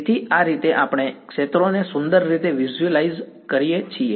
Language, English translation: Gujarati, So, that is how we visualize the fields fine